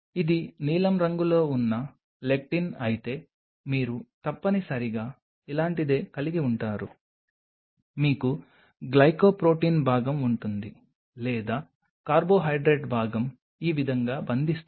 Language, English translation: Telugu, What you essentially will have something like this if this is the lectin in a blue color, you will have a glycoprotein part or the carbohydrate part will bind to it something like this